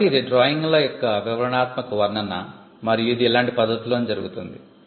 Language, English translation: Telugu, So, this is the detailed description of the drawings and it is done in a similar manner, similar fashion